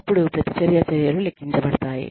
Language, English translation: Telugu, Reaction measures are then calculated